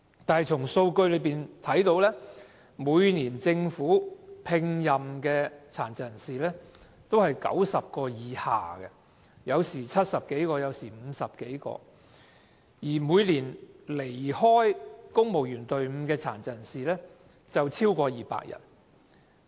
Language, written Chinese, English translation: Cantonese, 然而，數據顯示，政府每年聘用的殘疾人士均在90人以下，不是70多人，便是50多人，但每年離開公務員隊伍的殘疾人士卻有超過200人。, However statistics showed that the Government employed less than 90 PWDs every year only either 70 - odd or 50 - odd but more than 200 of them left the Civil Service in each year